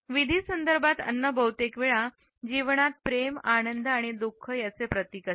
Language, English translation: Marathi, Within ritual contexts, food often stands in its expressions of life, love, happiness and grief